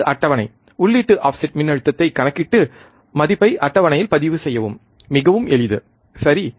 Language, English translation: Tamil, This is the table calculate input offset voltage and record the value in table, so easy right